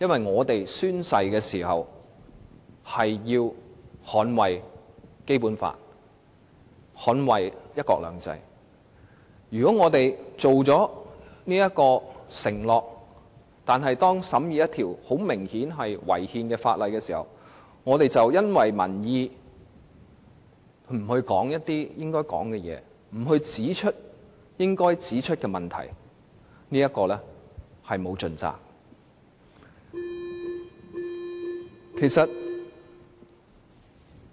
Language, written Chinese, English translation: Cantonese, 我們曾經宣誓要捍衞《基本法》和"一國兩制"，並且作出了承諾，如果在審議一項明顯違憲的法例的時候，卻因為顧及民意而不說出應該說的話、不指出應該指出的問題，我們便是沒有盡責。, We have sworn to uphold the Basic Law and the principle of one country two systems and made an undertaking . We would have failed to discharge our responsibility had we not said what we should say and pointed out the problems in examining a piece of legislation that was obviously unconstitutional on the ground that we had to take public opinion into account